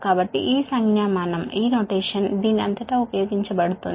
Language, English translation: Telugu, so this, so this notation will be used throughout this